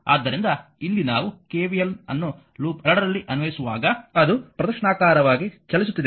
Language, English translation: Kannada, So, here when we are applying KVL in the loop 2, thus it is you are moving in the clockwise direction